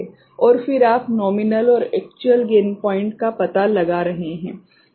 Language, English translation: Hindi, And then you are finding out nominal and actual gain point